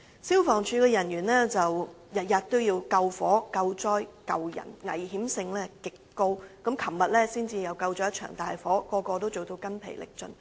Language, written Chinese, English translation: Cantonese, 消防處人員天天都要救火、救災、救人，工作的危險性極高，昨天才撲滅了一場大火，人人都做到筋疲力盡。, Staff of the Fire Services Department FSD are engaging in highly dangerous work every day because they are responsible for fighting against fire providing disaster relief and saving peoples lives and every one of them are completely exhausted after putting out a serious fire yesterday